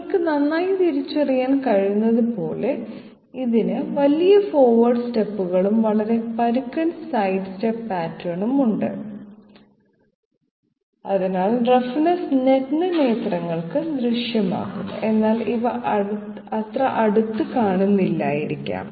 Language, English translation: Malayalam, As you can well identify, this one has large forward steps and also a very coarse side step pattern so that roughness will be visible to the naked eye while these are not so a closer look perhaps, yes